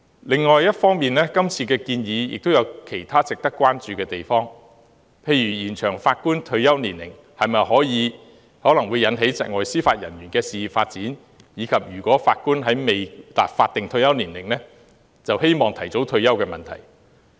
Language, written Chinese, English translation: Cantonese, 另一方面，今次的建議也有其他值得關注的地方，例如延長法官退休年齡會導致窒礙司法人員事業的發展，以及法官未達法定退休年齡便希望提早退休的問題。, On the other hand there are other areas of concern relating to this proposal for example an extension of the retirement age of Judges may stifle the career development of Judicial Officers and the possibility of early retirement of Judges before reaching the statutory retirement age